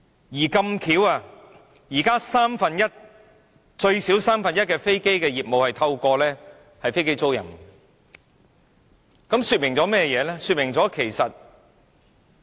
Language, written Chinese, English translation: Cantonese, 而巧合地，現時有最少三分之一的飛機業務是透過飛機租賃進行的，這說明了甚麼呢？, Coincidentally at least one third of aircraft business is now conducted with aircraft leasing . What does this imply?